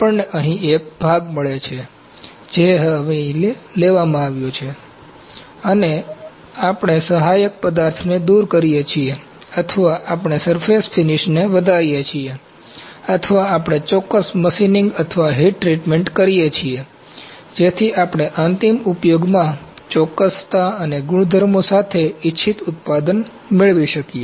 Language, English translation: Gujarati, We get a part here, that is now taken here and we remove the support material or we enhance surface finish or we do certain machining or heat treatment to get the desired product with the accuracy and the properties that we need in the final applications